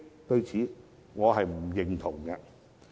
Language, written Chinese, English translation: Cantonese, 對此，我是不認同的。, I do not think that will be the case